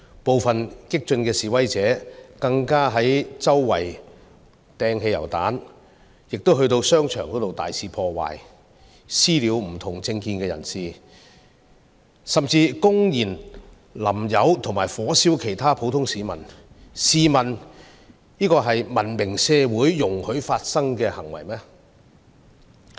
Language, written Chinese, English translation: Cantonese, 部分激進示威者更加周圍投擲汽油彈，又進入商場大肆破壞，"私了"不同政見的人士，甚至公然潑油及火燒其他普通市民，試問這是文明社會容許發生的行為嗎？, Some extreme protesters threw petrol bombs everywhere . They massively vandalized shopping malls . They committed acts of vigilantism against those who hold different political views and even publicly poured gasoline on another citizen and set him on fire